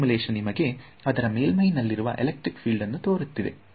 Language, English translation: Kannada, And this simulation is showing you the electric fields on the surface